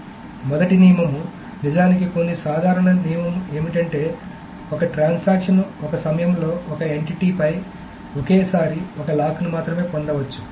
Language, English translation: Telugu, So the first rule, there are some couple of some, actually some simple rules, is that a transaction may obtain only one lock at a time on an entity at a time